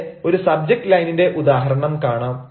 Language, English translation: Malayalam, here is an example of a subject line